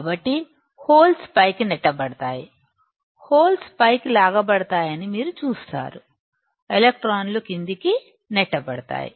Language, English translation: Telugu, So, holes will be pushed up, it will be pulled up; you see holes will be pulled up, electrons will be pushed down